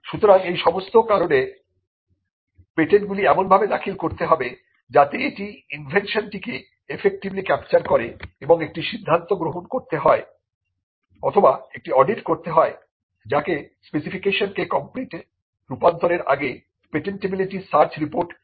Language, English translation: Bengali, So, for all these reasons patents have to be filed in a way in which it captures the invention effectively and also that a call has to be taken as to or an audit has to be done what we call the patentability search report has to be generated before there is a conversion of a provisional into a complete